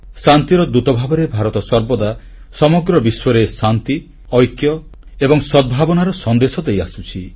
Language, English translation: Odia, India has always been giving a message of peace, unity and harmony to the world